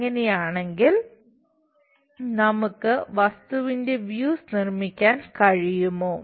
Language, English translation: Malayalam, If that is the case can we construct views of the object